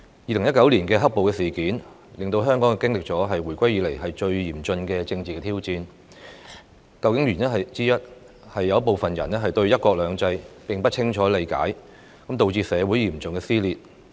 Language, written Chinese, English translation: Cantonese, 2019年的"黑暴"事件，令香港經歷了自回歸以來最嚴峻的政治挑戰，原因之一，是有部分人並不清楚了解"一國兩制"，導致社會嚴重撕裂。, The black - clad riots in 2019 have posed the most severe political challenge to Hong Kong since the handover . One of the reasons leading to the riots is that some people do not fully grasp the one country two systems principle resulting in serious social dissension